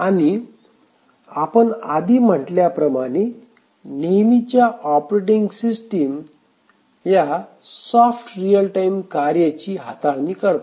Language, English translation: Marathi, And we had said that in the traditional operating system which handles basically soft real time tasks